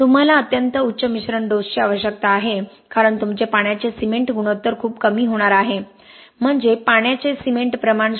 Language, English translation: Marathi, You need extremely high admixtures dosage because your water cement ratio is going to be very low we are talking about water cement ratio lower than point two ok